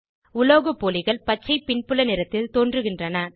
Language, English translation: Tamil, Metalloids appear in Green family background color